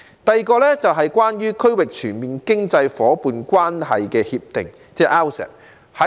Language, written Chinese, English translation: Cantonese, 第二，關於《區域全面經濟伙伴關係協定》，即 RCEP。, My second point is about the Regional Comprehensive Economic Partnership ie . RCEP